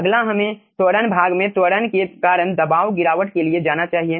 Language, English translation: Hindi, next let us go for acceleration, part pressure drop due to acceleration